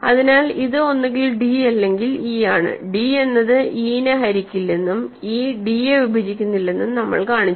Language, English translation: Malayalam, So, it is either d or e, and we just showed that d does not divide e, e does not divide d